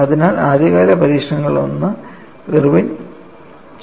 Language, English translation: Malayalam, So, one of the earliest modification was done by Irwin